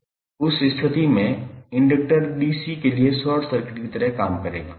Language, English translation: Hindi, In that case the inductor would act like a short circuit to dC